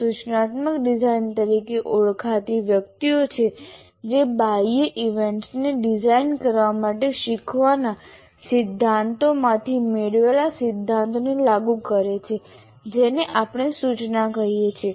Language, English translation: Gujarati, Now, there are persons called instructional designers who apply the principles derived from learning theories to design external events we call instruction